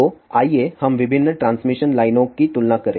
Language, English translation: Hindi, So, let us do a comparison of different transmission lines